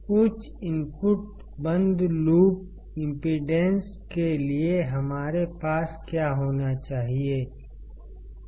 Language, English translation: Hindi, That for high input closed loop impedance, what should we have